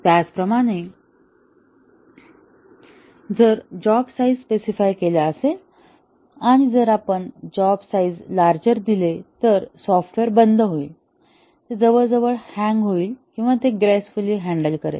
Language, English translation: Marathi, Similarly, if the job size is specified something, and if we give slightly larger job size, will the software perform very discontinuously, it will almost hang or will it gracefully handle this